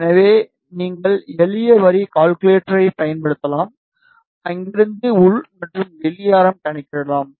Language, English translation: Tamil, So, you can use simple line calculator and from there you can calculate the inner and outer radius